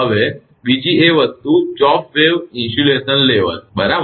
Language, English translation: Gujarati, Now, another thing is chopped wave insulation level right